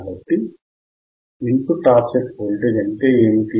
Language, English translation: Telugu, So, what is input offset voltage